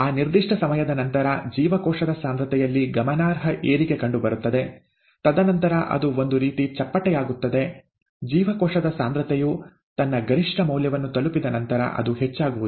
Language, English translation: Kannada, After a certain time, there is a significant increase in cell concentration, and then there is, it kind of flattens out, there is not much of an increase in cell concentration after it reaches its maximum value